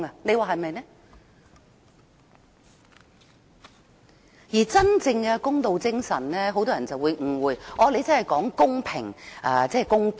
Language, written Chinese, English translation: Cantonese, 很多人對真正的公道精神有所誤解，以為是指公平和公道。, Many people misunderstand the meaning of the genuine spirit of fairness . They believe it refers to equality and equity . That is not correct